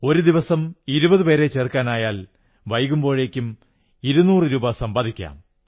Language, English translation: Malayalam, If you involve twenty persons in a day, by evening, you would've earned two hundred rupees